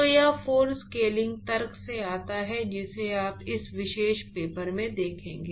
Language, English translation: Hindi, So, this 4 actually comes from the scaling argument which you will actually see in this particular paper if you read it carefully